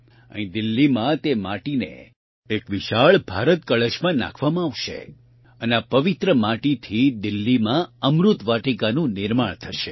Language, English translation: Gujarati, Here in Delhi, that soil will be put in an enormous Bharat Kalash and with this sacred soil, 'Amrit Vatika' will be built in Delhi